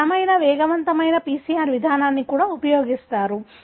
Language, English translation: Telugu, People also use the robust quicker PCR approach